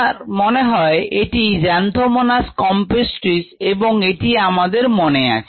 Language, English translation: Bengali, i think this is a xanthomonas campestris, if i remember right